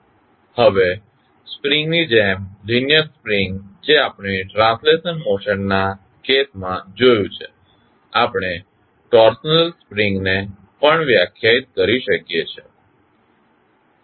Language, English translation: Gujarati, Now, similar to the spring, linear spring which we saw in case of translational motion, we can also define torsional spring